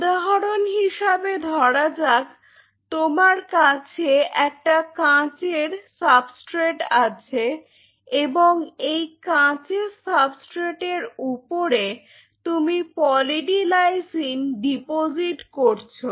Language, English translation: Bengali, Say for example, here you have a substrate a glass substrate, on a glass substrate you deposit Poly D Lysine; deposit Poly D Lysine